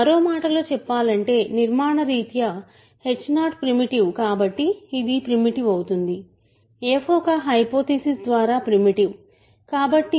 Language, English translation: Telugu, So, in other words this is primitive because h 0 is primitive by construction, f is primitive by a hypothesis